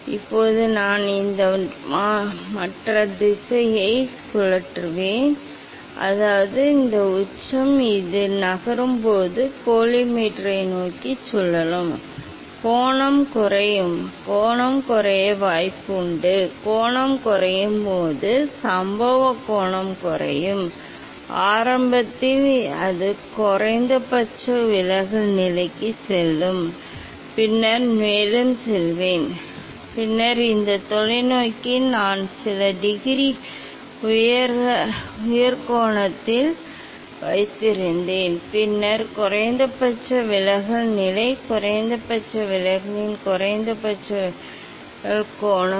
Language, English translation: Tamil, Now, I will rotate this other direction that means, this apex it will this moves, it will rotate towards the collimator; that means, the angle is decreased, incident angle will decrease, initially it will go the minimum deviation position and then further I will go and then this telescope I kept at few degree higher angle then the minimum deviation position, minimum deviation angle of minimum deviation